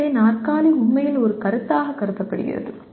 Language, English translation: Tamil, So the chair is really can be considered as a concept